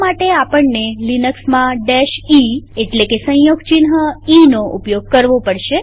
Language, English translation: Gujarati, For this in Linux we need to use the e option